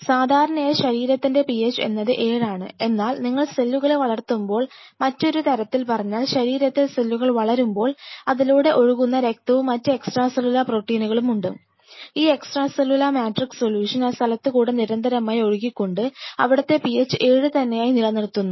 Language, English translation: Malayalam, So, generally we know our body PH is at 7, but while you are growing the cell, there are or let us put it other way; while the cells are growing in your body, we have this blood which is slowing through you have these extra cellular matrix proteins; extra cellular matrix solution which is continuously washing out that spot ensuring it to make a PH 7